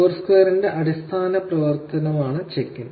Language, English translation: Malayalam, Check in is the basic function of Foursquare